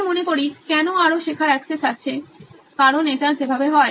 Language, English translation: Bengali, I think why is there access to more learning because that is the way it is